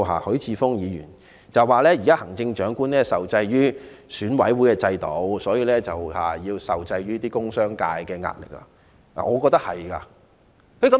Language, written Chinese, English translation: Cantonese, 許智峯議員提到現時行政長官受制於選舉管理委員會的制度，因而受制於工商界的壓力，我認為他說得對。, According to Mr HUI Chi - fung the Chief Executive is now restrained by the system of the Electoral Affairs Commission and so she is restrained by pressures from the commercial and industrial sectors . I think he is right